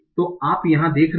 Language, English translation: Hindi, So what are you seeing here